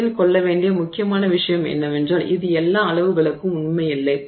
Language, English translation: Tamil, Now, the important thing also to remember is that it is not true for all sizes